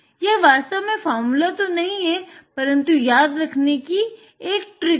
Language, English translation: Hindi, It is not really a formula, but it is a trick to remember